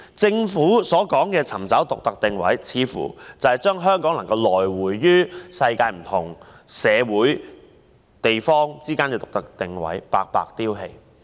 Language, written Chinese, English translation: Cantonese, 政府所說的尋找獨特定位，似乎是將香港能夠游走於世界各國社會之間的獨特定位白白丟棄。, It seems that the Governments claim to identify the unique positioning of Hong Kong is to abandon our unique positioning in associating with different societies in the world